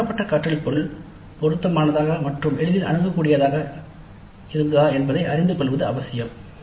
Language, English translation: Tamil, So, it is important to know whether the learning material provided was relevant and easily accessible